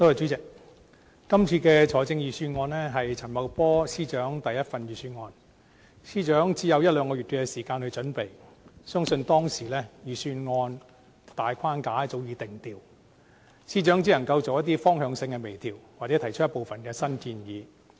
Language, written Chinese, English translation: Cantonese, 主席，今次的財政預算案是陳茂波司長的第一份預算案，司長只有一兩個月時間準備，相信當時預算案的大框架早已定調，司長只能夠作一些方向性的微調，或提出部分新建議。, President this is the first Budget of Financial Secretary Paul CHAN . Since the Financial Secretary only has one to two months to prepare it I believe that the skeleton of the Budget should have been formed a long time ago and he could only make some minor directional adjustments or add a small number of new proposals